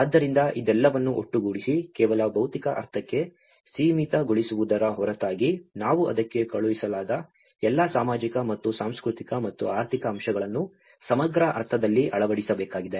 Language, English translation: Kannada, So, all this putting together, apart from only limiting to the physical sense, we need to embed all the social and cultural and economic aspects sent to it in a holistic sense